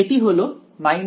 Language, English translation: Bengali, So, the answer is